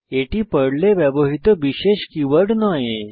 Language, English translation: Bengali, These are not the special keywords used by Perl